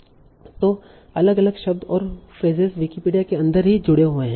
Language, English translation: Hindi, So different words and phrases are linked within Wikipedia itself